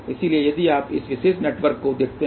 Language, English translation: Hindi, So, if you look at just this particular network